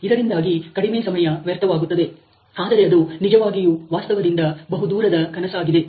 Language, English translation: Kannada, So, that less time can be wasted, but that actually a far fetched dream from reality